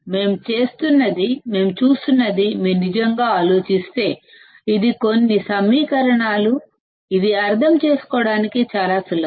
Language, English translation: Telugu, If you really think what we are looking at; it is some equations which are so simple to understand